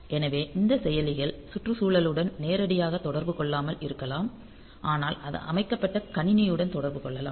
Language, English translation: Tamil, So, this processors they may not directly interact with the environment they may be interacting with the over the system into which it is put into